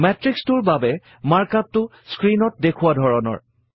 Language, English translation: Assamese, The markup for the matrix is as shown on the screen